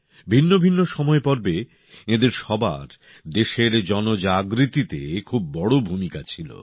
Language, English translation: Bengali, In different periods, all of them played a major role in fostering public awakening in the country